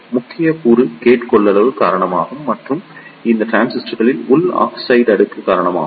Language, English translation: Tamil, The major component is due to the gate capacitance and which is due to the oxide layer in the transistor